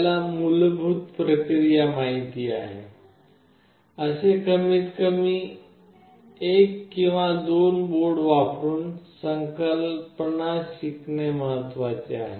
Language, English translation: Marathi, It is important to learn the concept using at least one or two boards, such that you know the basic process